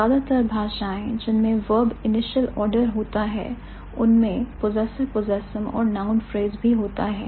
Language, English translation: Hindi, Most languages that have verb initial order will also have possessor, possessum and ad position and noun phrase